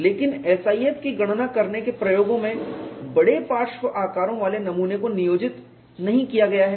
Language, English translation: Hindi, But in experiments to determine SIF, specimen with large lateral dimensions is not employed